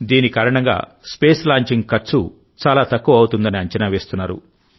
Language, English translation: Telugu, Through this, the cost of Space Launching is estimated to come down significantly